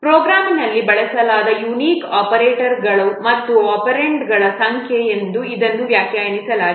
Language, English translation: Kannada, It is defined as the number of unique operators and operands used in the program